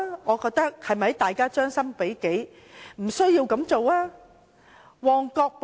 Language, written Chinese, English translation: Cantonese, 我認為應將心比己，不要這樣做。, I think we should put ourselves in their position . We should not do such things